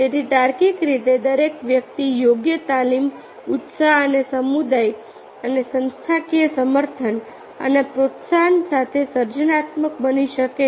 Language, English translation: Gujarati, so, logically, everyone can be creative with proper training, zeal and community and organizational support and encouragement